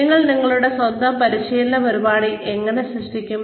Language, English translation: Malayalam, How do you create your own training program